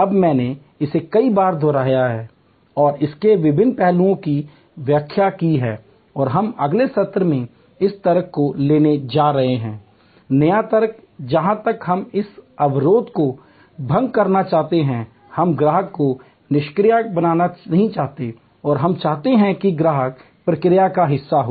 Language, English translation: Hindi, Now, I have a leaved to this number of times and explain different aspects of it and we are going to take up in the next session this logic, the new logic where we want to dissolve this barrier, we do not want the customer to be passive, we want the customer to be part of the process